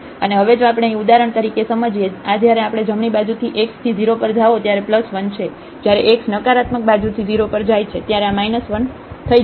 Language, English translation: Gujarati, And now if we realize here for example, this one when we go x to 0 from the right side this is plus 1, when x goes to 0 from the negative side this will become as minus 1